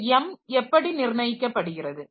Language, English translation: Tamil, Now, how this m is determined